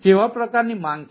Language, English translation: Gujarati, what sort of demand is there